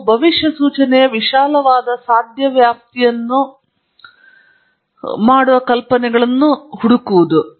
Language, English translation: Kannada, Thirdly you seek ideas that make the widest possible range of predictions